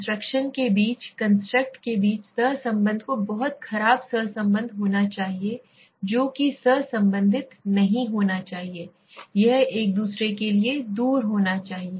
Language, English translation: Hindi, Correlation between the constructs between the constructs has to be separately very poor correlation that should not be co related it should be as far away for each other